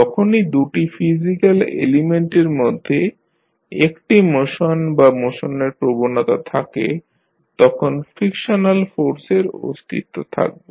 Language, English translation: Bengali, Whenever there is a motion or tendency of motion between two physical elements frictional forces will exist